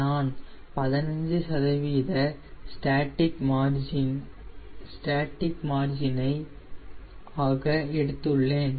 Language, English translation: Tamil, i have selected fifteen percent as my static margin